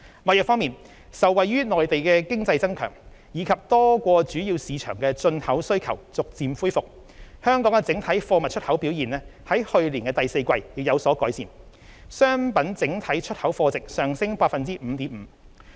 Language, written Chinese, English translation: Cantonese, 貿易方面，受惠於內地經濟增強，以及多個主要市場的進口需求逐漸恢復，香港整體貨物出口表現在去年第四季亦有所改善，商品整體出口貨值上升 5.5%。, All these are testaments to the resilience and stability of our markets despite many challenges . On trade Hong Kongs total exports of goods showed some improvement and the value of total exports of goods grew by 5.5 % in the fourth quarter last year thanks to the strengthening of the Mainland economy and the gradual revival of import demand in many major markets